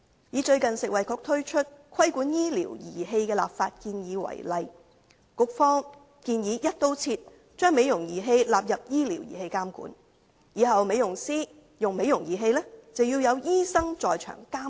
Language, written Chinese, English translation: Cantonese, 以最近食物及衞生局推出的"規管醫療儀器的立法建議"為例，局方建議"一刀切"將美容儀器納入為醫療儀器監管，日後美容師使用美容儀器，必須有醫生在場監督。, Take the proposed regulatory framework for medical devices recently introduced by the Food and Health Bureau as an example . The Bureau proposes including cosmetic devices as medical devices for regulation across the board . The use of cosmetic devices by beauticians must be supervised by a medical practitioner on site in future